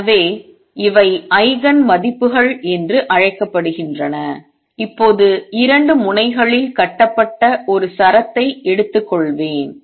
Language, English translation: Tamil, So, and these are known as Eigen values and now an example I will take a string tied at 2 ends